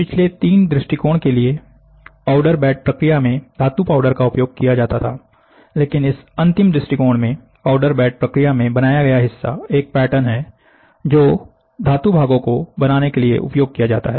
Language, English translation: Hindi, For the previous 3 approaches, metal powder is utilised in the powder bed process, but in this final approach, the part created in the powder bed process is a pattern used to create metal parts, pattern used to create metal parts